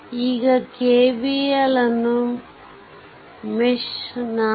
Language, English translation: Kannada, Now I apply KVL in mesh 4